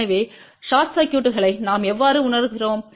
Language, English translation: Tamil, So, how do we realize the short circuit